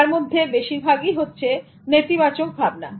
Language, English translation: Bengali, Most of these views are negative views